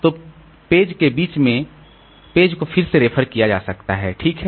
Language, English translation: Hindi, So, in between the page may be referred to again